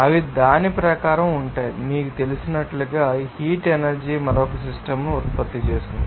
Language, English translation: Telugu, They are according to that, the heat energy will be produced another system like you know that